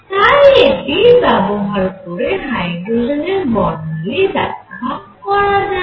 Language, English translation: Bengali, So, it will explain hydrogen spectrum